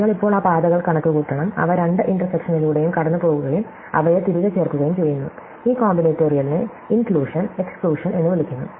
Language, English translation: Malayalam, You have to now compute those paths, which go through both the intersections and add them back and this combinatorial is called inclusion and exclusion